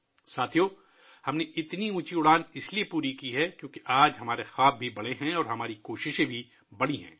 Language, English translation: Urdu, Friends, we have accomplished such a lofty flight since today our dreams are big and our efforts are also big